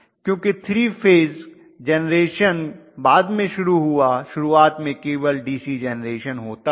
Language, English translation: Hindi, Because 3 phase generation started only later, initially it was all DC generation